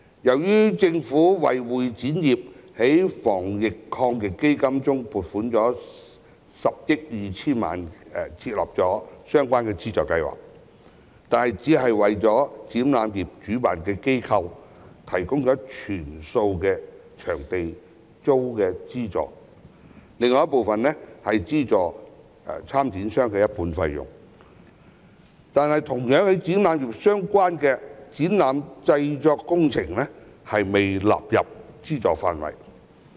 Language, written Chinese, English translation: Cantonese, 雖然政府在防疫抗疫基金中撥款10億 2,000 萬元，為會展業設立相關資助計劃，但只為展覽業的主辦機構提供全數場租資助，另一部分則資助參展商一半費用，而同樣與展覽業相關的展覽製作工程業卻未被納入資助範圍。, Although the Government has allocated 1.02 billion under the Anti - epidemic Fund to set up a relevant subsidy scheme for the convention and exhibition industry it only provides full rental subsidy to exhibition organizers while subsidizing half of the exhibitors fees under the second part of the scheme . The exhibition production sector which is related to the convention and exhibition industry is not covered by the subsidy scheme